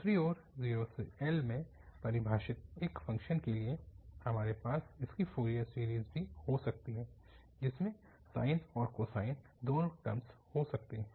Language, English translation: Hindi, On the other hand, for a function defined in 0 to L we can also have its Fourier series which may have both the terms, sine and cosine